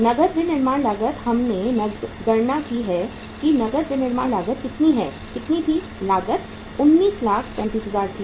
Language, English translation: Hindi, Cash manufacturing cost we have taken the calculated the cash manufacturing cost which is how much, how much was that cost, 19,35,000